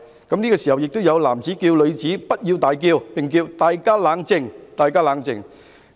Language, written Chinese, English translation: Cantonese, 此時亦有男子叫女子不要大叫，並說："大家冷靜！, At this moment a man was also heard telling a woman not to shout and he said Everybody calm down!